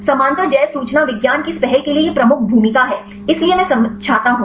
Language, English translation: Hindi, This is the major role for this initiative of parallel bioinformatics; so, I will explain